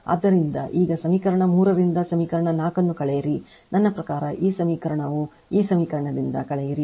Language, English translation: Kannada, So, now now what you do subtract equation 4 from equation 3, I mean this equation you subtract from this equation if you do